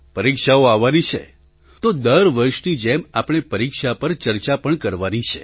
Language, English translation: Gujarati, Exams are round the corner…so like every other year, we need to discuss examinations